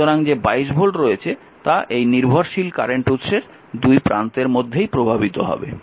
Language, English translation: Bengali, So, whatever 22 volt is there that will be impressed across this dependent current source